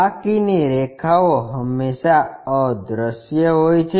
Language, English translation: Gujarati, The remaining lines are always be invisible